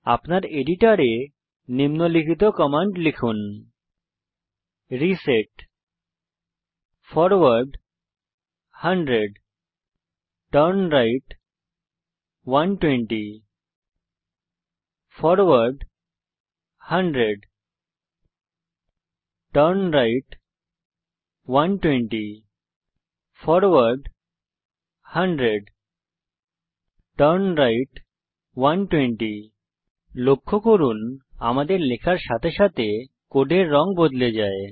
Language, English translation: Bengali, In your editor, type the following commands: reset forward 100 turnright 120 forward 100 turnright 120 forward 100 turnright 120 Note that the color of the code changes as we type